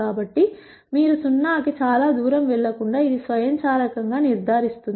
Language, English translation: Telugu, So, it will automatically ensure that you do not go very far away from zero